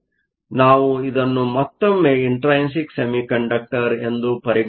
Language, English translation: Kannada, So, We can again treat this as an intrinsic semiconductor